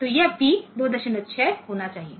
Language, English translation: Hindi, So, this one should be P 2